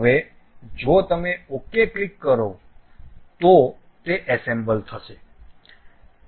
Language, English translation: Gujarati, Now, if you click ok, it will be assembled